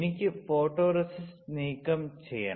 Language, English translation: Malayalam, I have to remove the photoresist